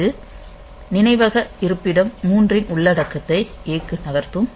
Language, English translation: Tamil, So, it will move the content of memory location 3 to A